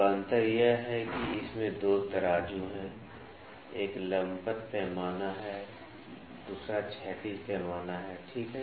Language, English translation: Hindi, So, the difference is that it is having 2 scales; one is the vertical scale, another is the horizontal scale, ok